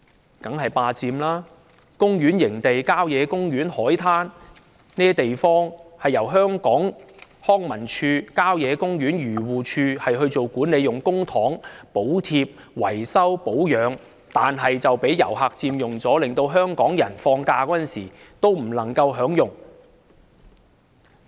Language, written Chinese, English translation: Cantonese, 那當然是"霸佔"，公園營地、郊野公園、海灘等地方由康樂及文化事務署、漁農自然護理署做管理，用公帑補貼、維修、保養，但這些地方卻被遊客佔用，令香港人放假時不能享用。, Managed by the Leisure and Cultural Services Department and the Agriculture Fisheries and Conservation Department those places like campsites country parks beaches etc . are subsidized repaired and maintained with public funds . But they are now occupied by tourists making it impossible for Hong Kong people to use them during holidays